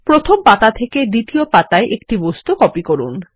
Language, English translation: Bengali, Copy an object from page one to page two